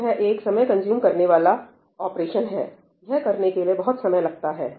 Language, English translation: Hindi, So, this is a time consuming operation, it takes time to do this